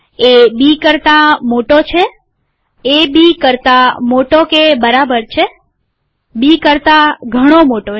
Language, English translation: Gujarati, A greater than B, greater than or equal to B, Much greater than B